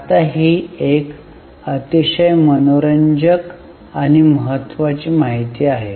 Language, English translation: Marathi, Now this is a very interesting and important information